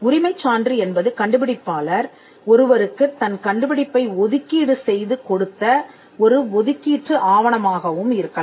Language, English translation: Tamil, The proof of right can be an assignment deed, wherein, the inventor assigns the invention to the assignee